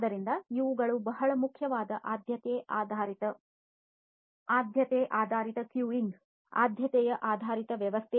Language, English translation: Kannada, So, these are you know very important priority based, you know, priority based queuing priority based system you know, integration and so, on